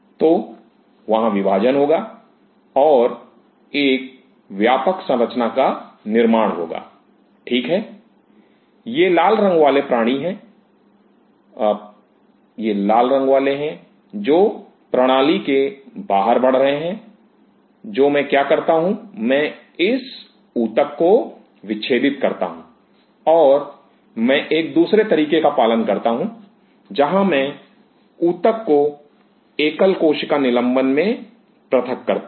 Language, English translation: Hindi, So, there will be dividing and there will be forming a mass kind of a structure, right, these red ones are the ones which are growing outside the system all what I do I dissect this tissue and I follow another route where I dissociate the tissue into single cell suspension